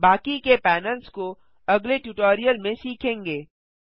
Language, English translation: Hindi, The rest of the panels shall be covered in the next tutorial